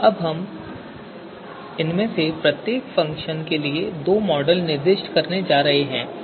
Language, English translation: Hindi, So let us we are going to specify two models with for each of these functions